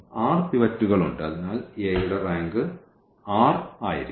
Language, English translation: Malayalam, There are r pivots; so, the rank of a will be r